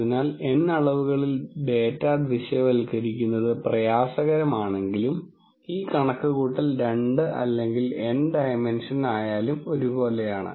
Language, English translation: Malayalam, So, while visualizing data in N dimensions hard this calculation whether it is two or N dimension, it is actually just the same